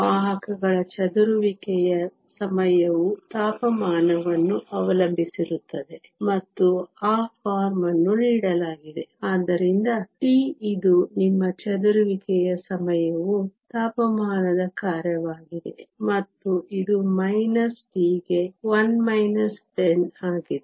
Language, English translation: Kannada, The carriers scattering time is temperature dependent and that is given of the form, so tau which is your scattering time is a function of temperature, and this is 1 minus 10 to the minus t